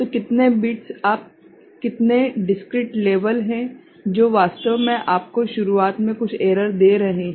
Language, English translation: Hindi, So, how many bits, how many discrete levels that you are having that is actually giving you some error right in the beginning